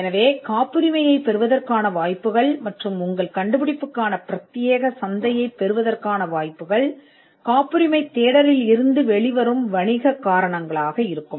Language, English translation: Tamil, So, the chances of obtaining a patent as well as the chances of getting an exclusive marketplace for your invention will be the commercial reasons that will come out of a patentability search